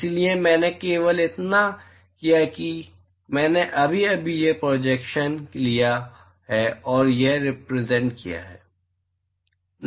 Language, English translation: Hindi, So, all I have done is I have just taken this projection and represented here that is all